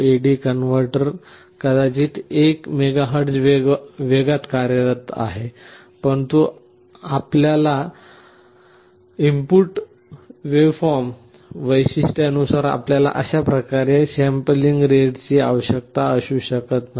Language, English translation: Marathi, The A/D converter may be working at 1 MHz speed, but you may not be requiring that kind of a sampling rate depending on your input waveform characteristic